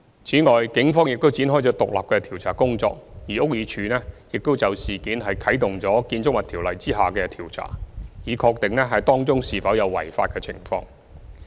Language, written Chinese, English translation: Cantonese, 此外，警方已展開獨立的調查工作，而屋宇署亦已就事件啟動《建築物條例》下的調查，以確定當中是否有違法的情況。, In addition the Police has launched an independent investigation and the Buildings Department has also initiated an investigation under the Buildings Ordinance in order to ascertain whether there is any violation of law